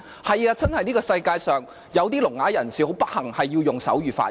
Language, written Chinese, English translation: Cantonese, 是的，世界上的確有些聾啞人士很不幸，需要用手語發言。, Yes deaf - mute persons are very unfortunate and they have to use sign language for speeches